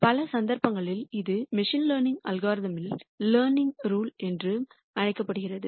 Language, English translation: Tamil, In many cases this is also called the learning rule in machine learning algorithms